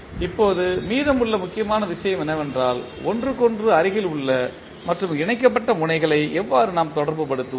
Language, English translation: Tamil, Now, the important thing which is still is left is that how we will co relate the nodes which are connect, which are adjacent to each other